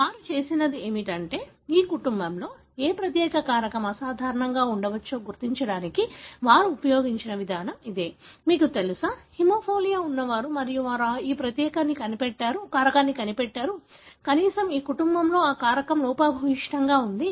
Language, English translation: Telugu, So, what they have done is, very similar kind of approach they have used to identify which particular factor could possibly be abnormal in this family, you know, those who have the haemophilia and they found was this particular factor, at least in this family, that factor was defective